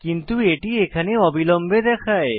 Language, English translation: Bengali, But it seemed to showing immediately